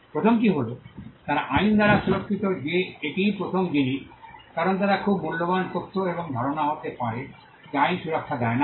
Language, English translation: Bengali, The first thing is that they are protectable by law that is the first thing, because they could be very valuable information and idea which the law does not protect